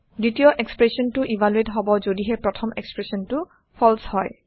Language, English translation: Assamese, Second expression is evaluated only if first is false